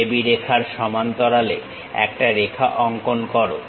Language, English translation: Bengali, Draw a parallel line to AB line connect it